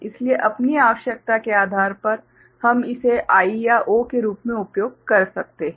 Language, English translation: Hindi, So, depending on our requirement we can use it as I or O